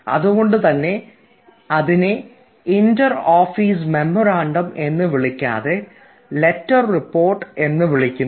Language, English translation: Malayalam, that is why we do not call it inter office memorandum, we call it a letter report